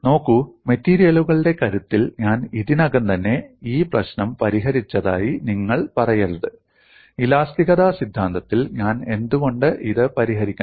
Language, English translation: Malayalam, See you should not say I have already solved this problem in strength of materials why should I solve it in theory of elasticity